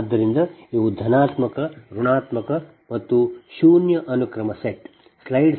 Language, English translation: Kannada, this is positive, negative, this is zero sequence